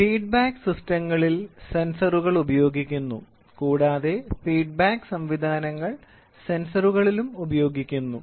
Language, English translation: Malayalam, Sensors are used in feedback systems and feedback systems are used in sensors